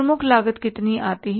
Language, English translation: Hindi, This is the prime cost